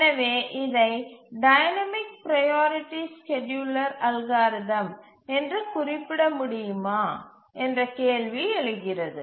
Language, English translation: Tamil, So how do we really call it as a dynamic priority scheduling algorithm